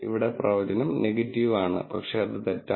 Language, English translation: Malayalam, Here, the prediction is negative, but that is wrong